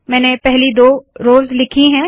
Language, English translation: Hindi, So I have written the first two rows